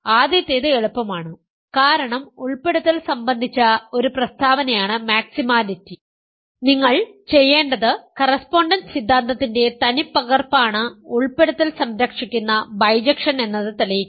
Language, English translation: Malayalam, What we have to do for the first one is easy because maximality is a statement about inclusions, all you need to do is that the original correspondence theorem is an inclusion preserving bijection